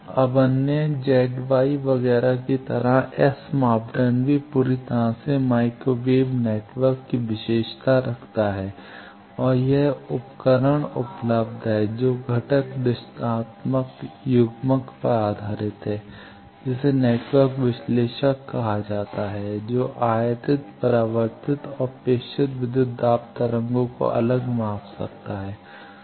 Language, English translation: Hindi, Now, like other Z Y etcetera this S parameter also completely characterized microwave network and there is an instrument available which is based on the component direction of coupler that is called network analyzer that can separate and measure incident reflected and transmitted voltage waves